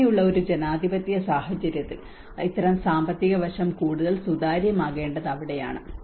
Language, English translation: Malayalam, So that is where in a democratic situations like this financial aspect has to be more transparent